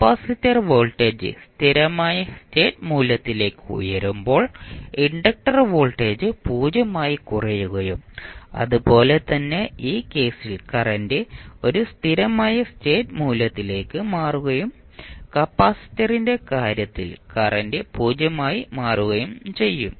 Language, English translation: Malayalam, When in case of capacitor voltage rises to steady state value while in case of inductor voltage settles down to 0 and similarly current in this case is settling to a steady state value while in case of capacitor the current will settle down to 0